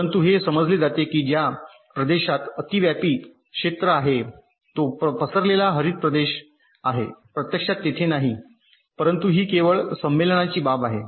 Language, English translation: Marathi, but it is understood that in the region which is overlapping the diffusion green region is actually not their, but this is just a matter of convention